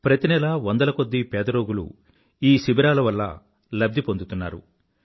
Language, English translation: Telugu, Every month, hundreds of poor patients are benefitting from these camps